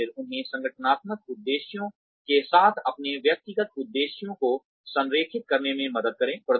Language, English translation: Hindi, And, then help them align their personal objectives, with organizational objectives